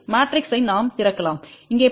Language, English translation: Tamil, We can open the matrix let us look at here